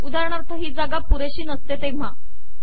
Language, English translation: Marathi, For example this space may not be large enough